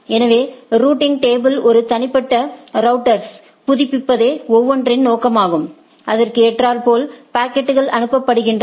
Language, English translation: Tamil, So, everybody’s objective is to update the routing table to a individual router, such that the packets are forwarded optimally